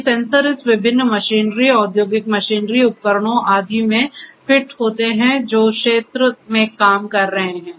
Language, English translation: Hindi, These sensors fitted to this different machinery, industrial machinery devices etcetera which are working in the field and so on